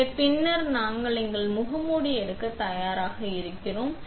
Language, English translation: Tamil, So, after that we are ready to take out our mask